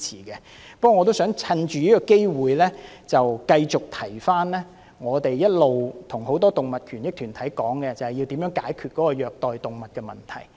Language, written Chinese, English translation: Cantonese, 不過，我亦想藉此機會，再次一提我們一直與很多動物權益團體討論的議題，即如何解決虐待動物的問題。, I absolutely support this move but I wish to take this opportunity to bring up once again the issue which has long been discussed by us and many animal rights groups ie . how to address the issue of cruelty to animals